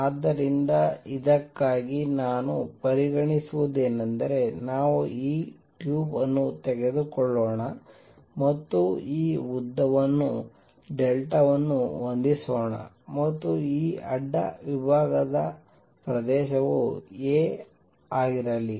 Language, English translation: Kannada, So, for this what I will consider is let us take this tube and let this length be delta set and let this cross sectional area be a